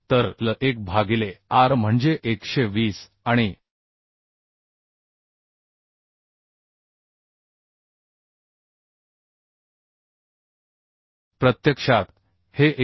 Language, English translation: Marathi, 2 L1 by r is 120